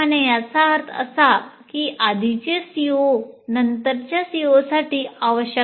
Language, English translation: Marathi, That means the earlier CBOs are prerequisites to the later COs